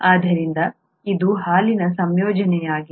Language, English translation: Kannada, So this is the composition of milk